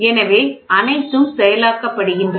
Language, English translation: Tamil, So, all are processed